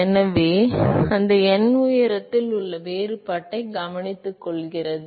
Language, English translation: Tamil, So, that n takes care of the difference in the height